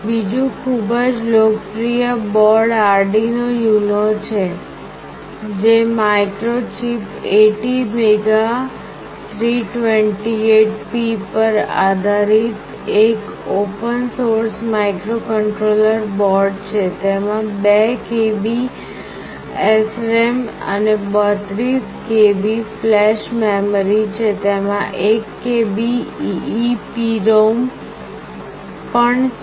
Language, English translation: Gujarati, Another very popular board is Arduino UNO, which is a open source microcontroller board based on Microchip ATmega328P; it has got 2 KB of SRAM and 32 KB of flash, it has also got 1 KB of EEPROM